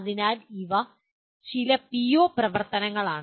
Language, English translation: Malayalam, So these are some PO activities